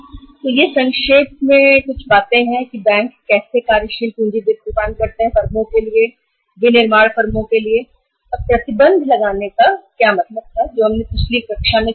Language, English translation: Hindi, So this is something about the just in nutshell how the banks provide the working capital finance to the firms, to the manufacturing firms and what was the meaning of imposing restriction which we discussed in the previous class so but in detail